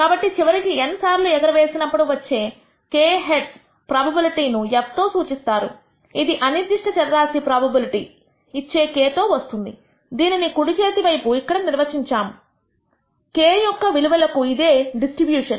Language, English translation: Telugu, So, the probability nally, of receiving k heads in n tosses which is denoted by f the random variable taking the value k is given by the probability, which is defined on the right hand side here, this distribution for various values of k